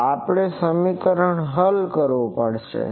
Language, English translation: Gujarati, So, we will have to solve this equation